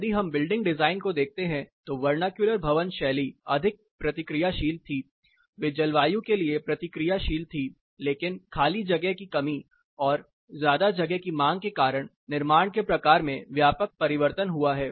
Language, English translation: Hindi, If we look at the building design vernacular building styles were more responsive, they were meant to be a limit responsive, but due to space constraints demand for spaces, the type of construction has underwent wide transformation